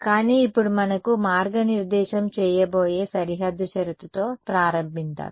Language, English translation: Telugu, But now let us start with the boundary condition that is what is going to guide us